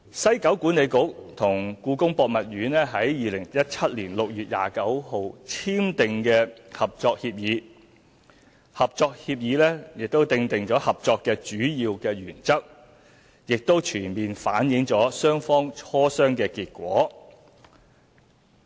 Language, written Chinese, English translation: Cantonese, 西九管理局與故宮博物院在2017年6月29日簽訂《合作協議》，《合作協議》訂定合作的主要原則，已全面反映雙方磋商的結果。, The Collaborative Agreement signed by WKCDA and the Palace Museum on 29 June 2017 set out the major principles of cooperation and fully reflected the outcome of their negotiation